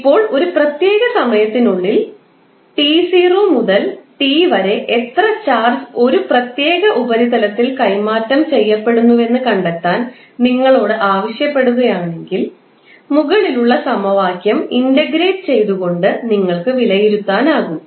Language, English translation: Malayalam, Now, if you are asked to find how much charge is transferred between time t 0 to t in a particular surface, you can simply evaluate by integrating the above equation